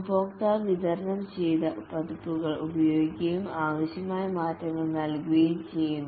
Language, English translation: Malayalam, The customer uses the delivered versions and gives requirement changes